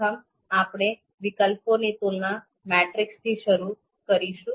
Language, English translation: Gujarati, So first, we will start with comparison matrix matrices for alternatives